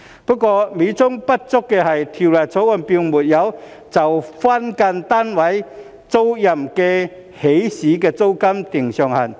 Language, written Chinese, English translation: Cantonese, 不過，美中不足的是《條例草案》並沒有就分間單位租賃的起始租金訂定上限。, Nevertheless the Bill does not set a cap for the initial rent for the tenancies of SDUs which is somewhat like a fly in the ointment